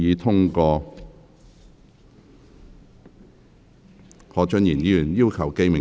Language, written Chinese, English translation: Cantonese, 何俊賢議員要求點名表決。, Mr Steven HO has claimed a division